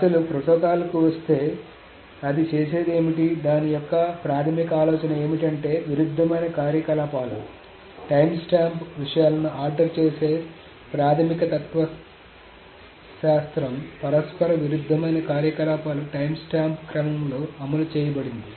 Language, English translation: Telugu, Anyway, so coming to the actual protocol, what it does is that the basic idea of that is that the conflicting operations, the basic philosophy of the timestamp ordering things is that the conflicting operations are executed in the timestamp order, are executed in the time stamp